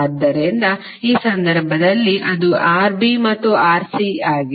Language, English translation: Kannada, So in this case it is Rb and Rc